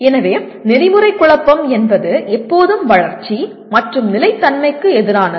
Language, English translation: Tamil, So the ethical dilemma is always development versus sustainability